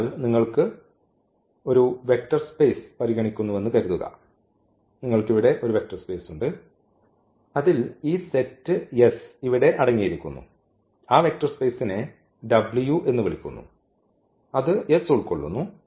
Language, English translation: Malayalam, So, if you have a suppose you consider a vector space you we have a vector space for instance which contains this set S here , the definitely because if this is a vector space that say w is a vector space which contains S